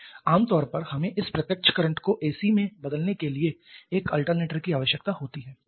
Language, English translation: Hindi, Generally we need an alternator to convert this direct current to AC